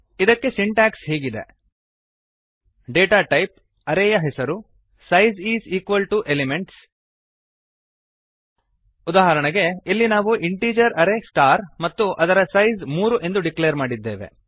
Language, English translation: Kannada, The Syntax for this is: data type,, size is equal to elements example, here we have declared an integer array star with size 3